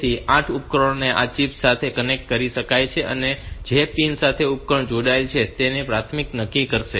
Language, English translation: Gujarati, So, the 8 devices can be connected to this chip and the pin to which the device is connected will decide its priority